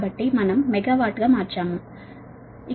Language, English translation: Telugu, so we have converted to megawatt